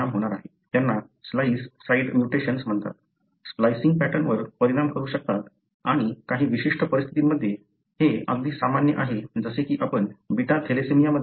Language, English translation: Marathi, So, these are called as splice site mutations; can affect the splicing pattern and in certain conditions these are very common like what you see in beta thalassemia